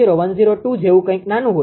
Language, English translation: Gujarati, 0102 something like that very small